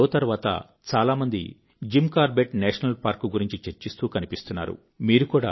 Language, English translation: Telugu, After the broadcast of this show, a large number of people have been discussing about Jim Corbett National Park